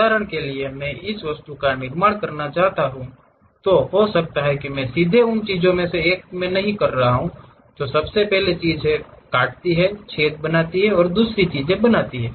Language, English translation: Hindi, For example, I want to construct this object, I may not be in a portion of a straight away first of all cut the things, make holes and other thing